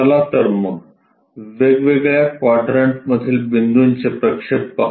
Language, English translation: Marathi, So, let us look at these projections of points on different quadrants